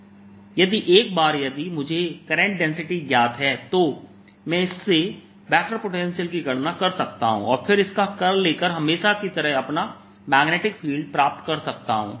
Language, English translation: Hindi, once i know the current density, i can calculate from this the vector potential and taking its curl, i can always get my magnetic field